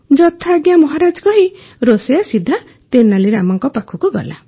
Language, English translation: Odia, " "As you order Maharaja," saying this the cook went straight to Tenali Rama